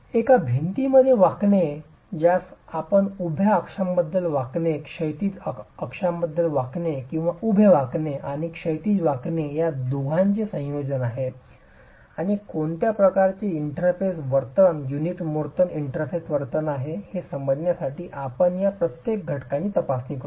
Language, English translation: Marathi, The bending in a wall you could have bending about the vertical axis, bending about the horizontal axis or a combination of both vertical bending and horizontal bending and we will examine each of these cases to understand what sort of a interface behavior unit motor interface behavior would you get and how do you characterize that because you need the strength